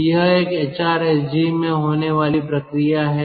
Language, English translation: Hindi, so this is the first kind of hrsg